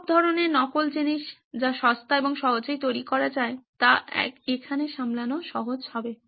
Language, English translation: Bengali, All sorts of mocks things that are cheap and easy to make will be handy here